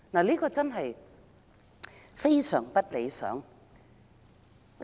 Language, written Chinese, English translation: Cantonese, 這種情況極不理想。, This situation is highly undesirable